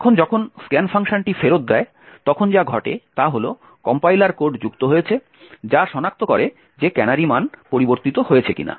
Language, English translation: Bengali, Now when the scan function returns what happens is that the compiler has added code that detects whether the canary value has changed